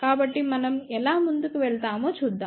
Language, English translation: Telugu, So, let us see how we proceed